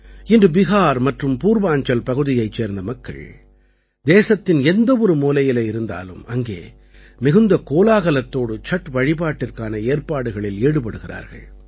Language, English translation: Tamil, Today, wherever the people of Bihar and Purvanchal are in any corner of the country, Chhath is being celebrated with great pomp